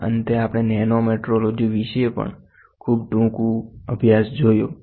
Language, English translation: Gujarati, And finally, we saw a very brief about nanometrology also